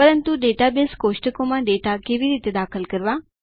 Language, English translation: Gujarati, But, how do we enter data into the database tables